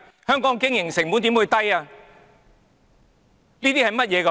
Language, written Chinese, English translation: Cantonese, 香港的經營成本又怎會低？, How can operating costs in Hong Kong be low?